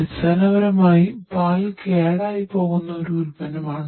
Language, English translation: Malayalam, Basically milk is a perishable product